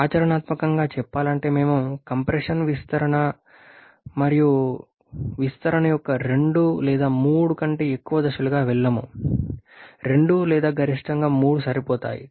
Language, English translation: Telugu, However practical speaking we never go for more than 2 or 3 stages of compression and expansion 2 or 3 at most 3 are sufficient